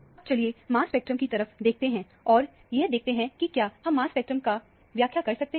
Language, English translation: Hindi, Now, let us have a look at the mass spectrum and see if we can interpret the mass spectrum